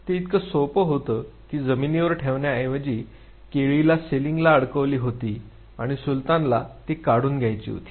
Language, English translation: Marathi, It was just that instead of putting on the ground the banana was attach to the ceiling and Sultan had to drag it